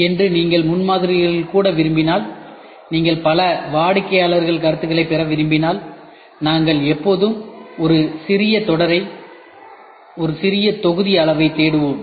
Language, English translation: Tamil, If you want to even in prototyping today if you want to get a multiple customer feedback we always look for a small series a small batch size